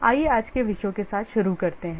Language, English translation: Hindi, Let's start with today's topics